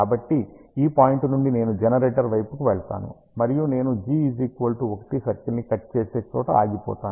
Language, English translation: Telugu, So, from this point, I will move towards the generator, and I will stop at a point where I cut the g equal to 1 circle